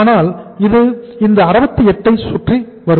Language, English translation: Tamil, But it will revolve around this 68